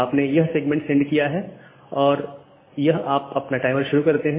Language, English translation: Hindi, So, the segment has lost you have started the timer here